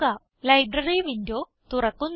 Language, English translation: Malayalam, The Library window opens